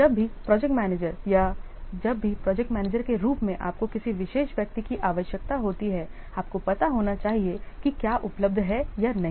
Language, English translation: Hindi, Whenever the project manager or whenever you as a project manager need a particular individual, you should know whether that is available or not